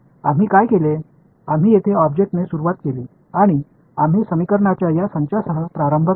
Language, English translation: Marathi, What have we done we started with an object over here and we started with these sets of equations